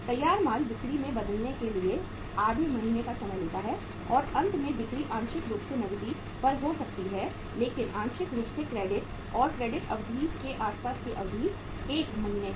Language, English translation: Hindi, Finished goods take half month to say convert into sales and finally sales partly maybe on the cash but partly around the credit and the credit period allowed is 1 month